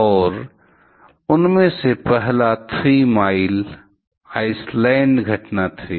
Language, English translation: Hindi, And the first one of them was the Three Mile Island incident